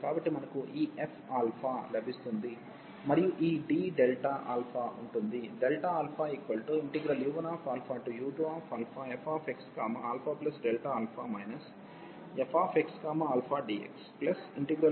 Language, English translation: Telugu, So, we get this f alpha and this d delta alpha will be there